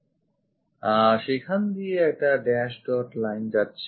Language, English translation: Bengali, So, there is a dash dot line goes via that